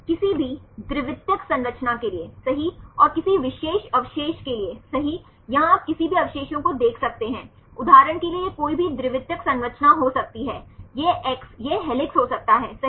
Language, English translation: Hindi, For any secondary structure right and any particular residue right, here you can see any residue i, this can be any secondary structure for example, this X this can be helix right